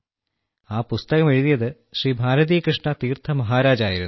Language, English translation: Malayalam, Swami Shri Bharatikrishna Tirtha Ji Maharaj had written that book